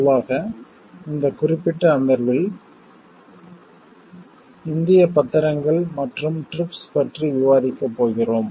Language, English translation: Tamil, In this particular session, we are going to discuss about the Indian obligations and the TRIPS